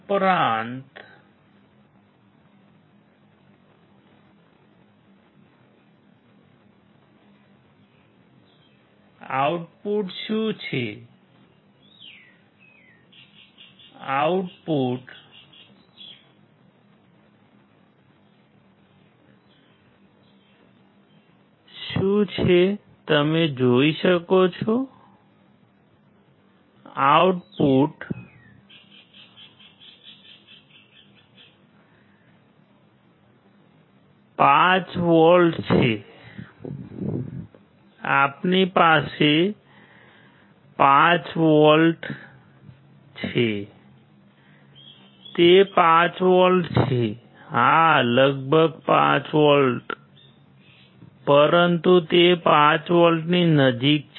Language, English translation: Gujarati, But what is the output what is the output you can see output is of 5 volts right we have 5 volts is it 5 volts; approximately 5 volts yeah, but it is close to 5 volts it is close to 5 volts